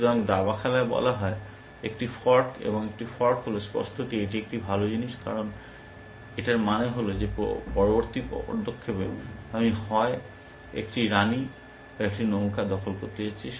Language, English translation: Bengali, So, chess plays called is a fork, and a fork is; obviously, a good thing to have essentially, because it among to saying that in the next move, I am going to either capture a queen or a rook